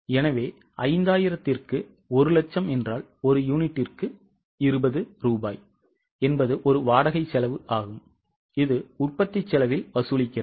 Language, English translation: Tamil, So, 1 lakh upon 5,000 means 20 rupees per unit is a rent cost which is charged on the production cost